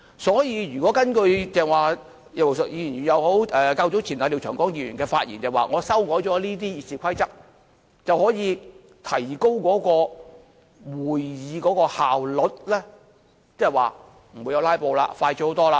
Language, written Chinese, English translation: Cantonese, 所以如果根據剛才葉劉淑儀議員或較早前廖長江議員的發言，指出修改了《議事規則》後，便可以提高會議的效率，即是不會有"拉布"，程序快捷得多。, According to the speeches of Mrs Regina IP or Mr Martin LIAO earlier the efficiency of the legislature could be improved after the Rules of Procedure were amended . That is there will be no more filibuster thus the process will be more expeditious